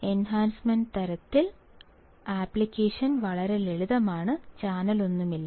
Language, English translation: Malayalam, The application is very simple in enhancement type; there is no channel